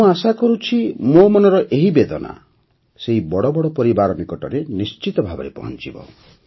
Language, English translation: Odia, I hope this pain of mine will definitely reach those big families